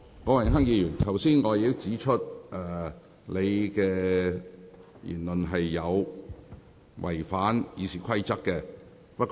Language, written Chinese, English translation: Cantonese, 郭榮鏗議員，我剛才已指出你的言論違反了《議事規則》。, Mr Dennis KWOK I already pointed out just now that your remark was in breach of the Rules of Procedure RoP